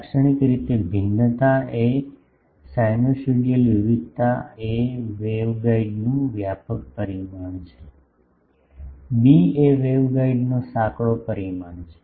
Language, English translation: Gujarati, Typically, the variation is sinusoidal variation a is the broader dimension of the waveguide, b is the narrower dimension of the waveguide etc